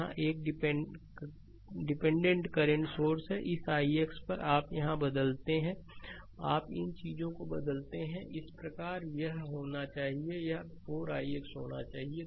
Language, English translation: Hindi, Here, it is a dependent current source i because this i x, here you change the here you change these things thus it should be it should be 4 i x right